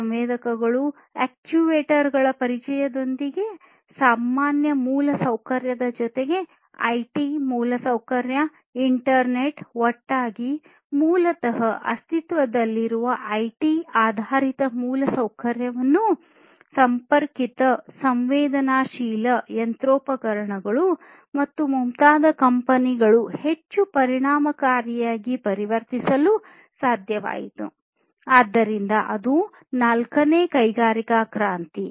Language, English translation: Kannada, So, the introduction of sensors, actuators, etc along with the regular infrastructure, the IT infrastructure, the internet etc together basically was able to transform the existing IT based infrastructure in the companies to much more efficient ones to connected, sensed machinery and so on, so that was the fourth industrial revolution